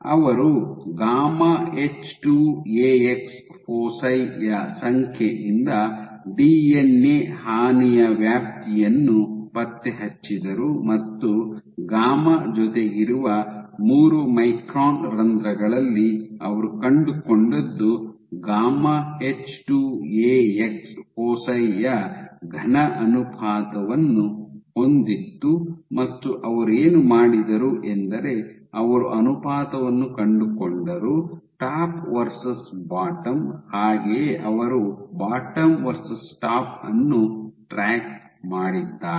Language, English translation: Kannada, So, they track the extent of DNA damage by the number of gamma H2Ax foci what they found was in 3 micron pores whatever with the gamma is with they had a solid ratio of gamma H2Ax foci and what they did was the tract that they found the ratio at the top versus and over the bottom